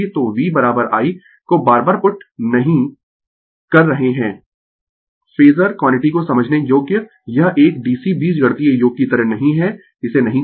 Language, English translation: Hindi, So, V is equal to do not putting I again and again phasor quantity understandable it is not like a dc algebraic sum do not do it